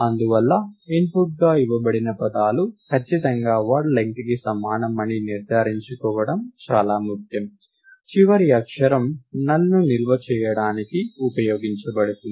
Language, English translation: Telugu, Therefore it is extremely important to ensure that the words that are given as input are only words of exactly word length, the last letter will be used to store a null